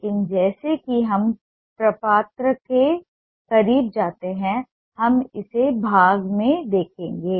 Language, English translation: Hindi, but as we go close to the form we will see it in part